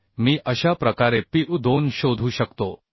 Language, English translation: Marathi, So I can find out Pu2 like this ok